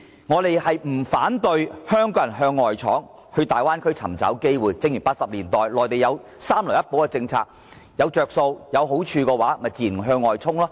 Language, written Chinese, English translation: Cantonese, 我們並不反對香港向外闖，到大灣區尋找機會，正如內地在1980年代提供"三來一補"的政策，如果有"着數"和好處的話，香港人自然會向外衝。, We are not saying that Hong Kong people should not venture out and seek opportunities in the Bay Area . Actually as can be shown by what happened after the policy of three forms of processingassembly operations and compensatory trade was launched in the 1980s Hong Kong people will naturally venture out if they can see the prospects of gains and benefits